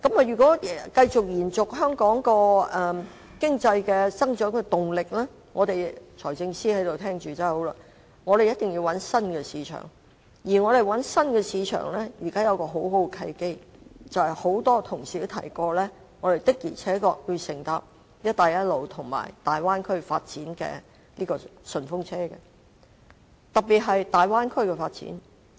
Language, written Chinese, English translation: Cantonese, 如果要延續香港經濟的增長動力——財政司司長在席上聆聽，真是太好了——我們一定要尋找新市場，而現在出現了一個很好的契機，便是很多同事已提及，我們的確要乘搭"一帶一路"和粵港澳大灣區發展的"順風車"，特別是大灣區的發展。, If Hong Kong is to maintain its momentum in economic growth―it is wonderful that the Financial Secretary is now present to listen to my speech―we have to find new markets and a very good opportunity has now arisen . As mentioned by many Members we really must ride on Belt and Road Initiative and the development of the Guangdong - Hong Kong - Macao Bay Area particularly the latter . Undoubtedly the Belt and Road Initiative will bring many new opportunities